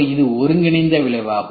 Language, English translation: Tamil, What is the combined effect